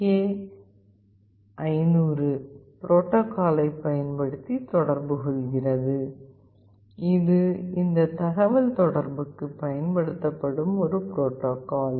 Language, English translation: Tamil, It communicates using the original STK500 protocol, this is a protocol that is used for this communication